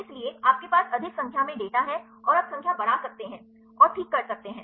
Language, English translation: Hindi, So, you have more number of data and you can increase a numbers and do that ok